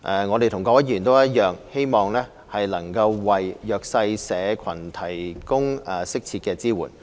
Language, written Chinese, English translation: Cantonese, 我們與各位議員一樣，希望能為弱勢社群提供適切的支援。, We hope as do all Members to provide the disadvantaged groups with appropriate support